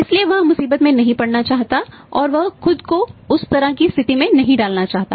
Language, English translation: Hindi, So he does not want to say be in the trouble and he does not want to say put himself in that kind of the situation